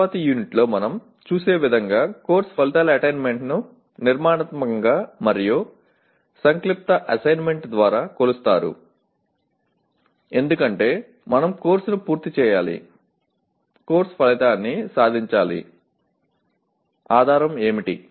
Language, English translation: Telugu, The attainment of course outcomes as we will see in a later unit is measured through formative and summative assessment because we need to have to complete the course, attainment of course outcome, what is the basis